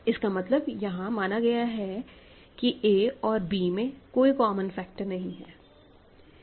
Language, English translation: Hindi, So, I am already implicitly assuming that a and b have no common factors ok